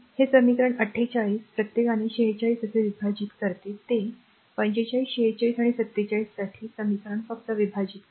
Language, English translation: Marathi, This equation 48 divide by each of 46 like this one, that your equation for your 45 46 and 47 just you divide right